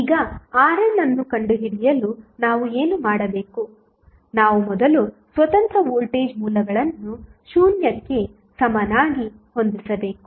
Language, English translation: Kannada, Now, what we have to do to find R n, we have to first set the independent voltage sources equal to 0